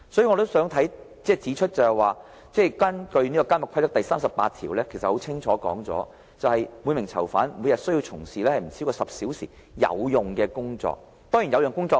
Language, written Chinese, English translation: Cantonese, 我也想指出，《監獄規則》第38條已經清楚訂明，每名囚犯須從事每天不超過10小時的"有用工作"。, I would also like to point out that it is clearly laid down in rule 38 of the Prison Rules that every prisoner shall be required to engage in useful work for not more than 10 hours a day